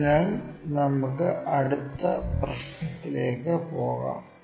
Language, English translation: Malayalam, So, let us move on to our next problem